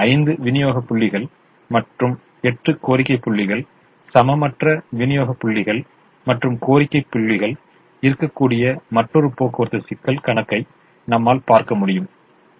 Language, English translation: Tamil, we could have another transportation problem where there could be five supply points and eight demand points, unequal number of supply points and demand points